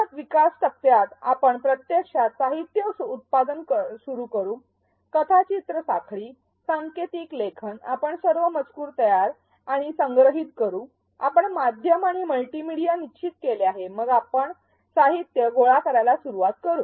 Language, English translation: Marathi, In the develop phase of ADDIE, we actually begin production of the materials; the storyboards, the coding, we prepare and collect all the text, we have decided the multimedia the media and then we start collecting the materials